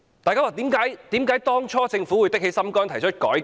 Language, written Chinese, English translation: Cantonese, 為甚麼政府當初會下定決心，提出改革？, Why did the Government make the decision to initiate a reform?